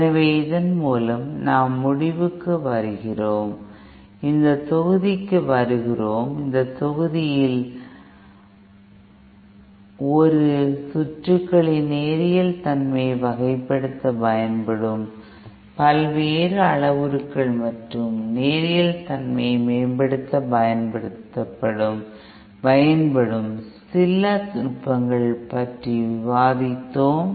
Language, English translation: Tamil, So, so with this we come to end and to this module, in this module we have discussed about the various parameters used to characterise the linearity of a circuit and some of the techniques used to improve the linearity